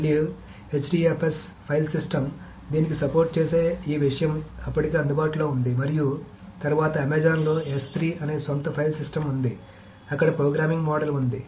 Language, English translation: Telugu, So again HDFS the file system, this thing that supports this is already available and then there is Amazon has its own file system called S3 that is there